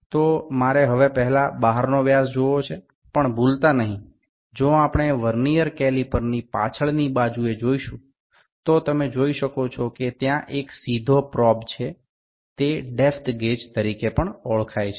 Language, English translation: Gujarati, So, I like to first see the external dia, also not to forget, if we see the back side of the Vernier caliper, you can see there is a straight probe; this is this can also be known as depth gauge